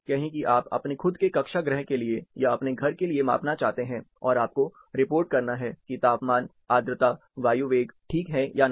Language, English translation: Hindi, Say you want to measure for your own class room, or for your house, and you have to report that whether temperature, humidity ,air velocity is ok or not